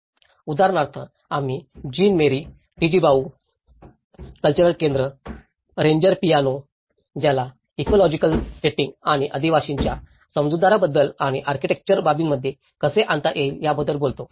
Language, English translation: Marathi, Like for instance, we called about the Jean Marie Tjibaou cultural centre, Ranger piano, which talks about an ecological setting and the tribal understanding and how bringing that into the architectural aspects